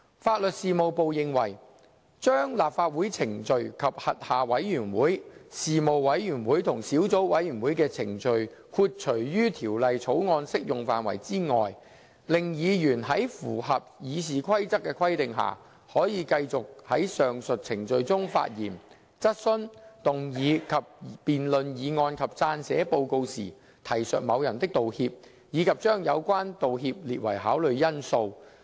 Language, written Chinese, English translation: Cantonese, 法律事務部認為，把立法會程序及其轄下的委員會、事務委員會及小組委員會的程序豁除於《條例草案》適用範圍外，令議員在符合《議事規則》的規定下，可以繼續在上述程序中發言、質詢、動議及辯論議案及撰寫報告時，提述某人的道歉，以及將有關道歉列為考慮因素。, The Legal Service Division LSD opined that disapplication of the Bill to proceedings of Legislative Council and its committees panels and subcommittees would mean that subject to the Rules of Procedure Members would continue to be able to refer to a persons apology and take such apology into account in making speeches asking questions moving and debating motions and writing reports for the purposes of the above proceedings